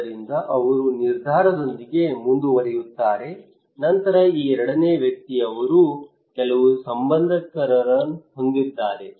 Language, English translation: Kannada, So he would proceed, go ahead with his decision then this second person he have some relatives